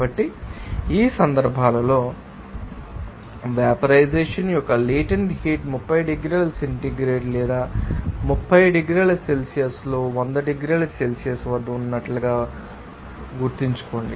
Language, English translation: Telugu, So, in this case, remember that latent heat of vaporization cannot be the same as what it is in 30 degrees centigrade or some 30 degrees Celsius which is in which is at 100 degrees Celsius